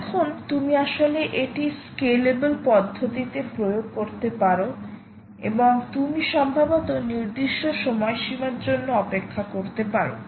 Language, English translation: Bengali, now you can actually implement this an very scalable manner and you can perhaps wait for a certain interval of time